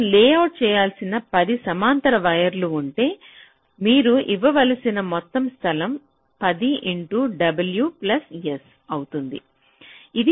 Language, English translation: Telugu, so if there are ten such parallel wires we have to layout, the total amount of space you have to give will be ten into w plus s